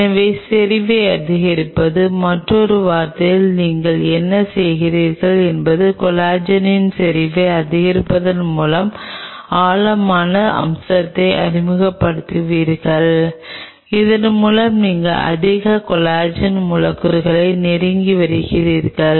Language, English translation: Tamil, So, increasing the concentration, in another word what you are doing you are increasing the you are introducing a depth feature by increasing the concentration of collagen and thereby you are bringing more collagen molecule close